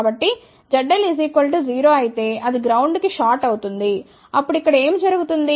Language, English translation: Telugu, So, if Z L is equal to 0, which is shorted to ground what will happen over here